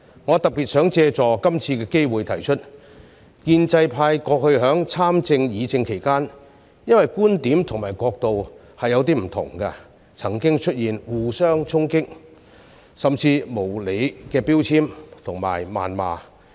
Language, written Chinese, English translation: Cantonese, 我特別想借助這次機會指出，建制派過去在參政和議政期間，因為觀點和角度不同，曾經出現互相攻擊，甚至無理的標籤和謾罵。, In particular I would like to take this opportunity to point out that in the past Members from the pro - establishment camp had attacked labelled and even vituperated each other unreasonably because of different points of view and perspectives during political participation and deliberation